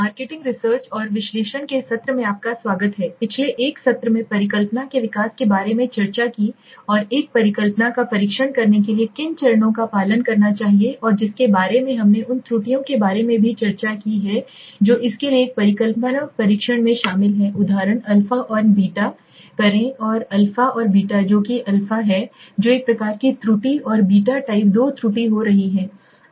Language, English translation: Hindi, Welcome friends to the session of marketing research and analysis in a previous session we had discussed about hypothesis development and what steps should one follow to test a hypothesis and which we even discussed about the kinds of errors that are involved in a hypothesis test for example the a and the test sorry the a and the which is the a being the type one error and the being the type two error